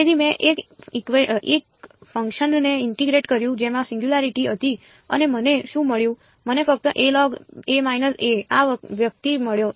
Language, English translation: Gujarati, So, I integrated a function which had a singularity and what did I get I got only this guy